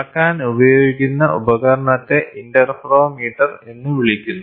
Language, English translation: Malayalam, The instrument which is used for measurement is called as interferometer